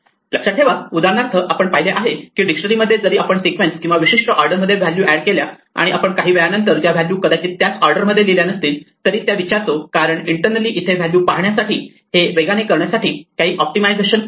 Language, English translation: Marathi, Remember for instance we saw that in a dictionary even if we add a sequence or values in the particular order we ask for the values after sometime they may not written in the same order, because internally there is some optimization in order to make it fast to look up a value for it